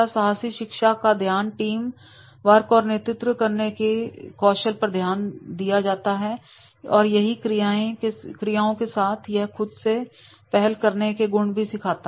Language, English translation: Hindi, Adventure learning focuses on the development of teamwork and leadership skills and through the structured activities it will be also help enhance that is the initiative skills